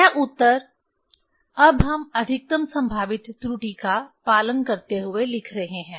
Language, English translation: Hindi, This answer now we are writing following the maximum probable error